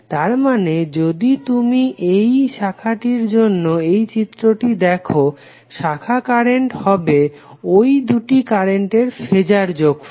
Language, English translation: Bengali, That means if you see this figure for this particular branch, the branch current would be phasor sum of these two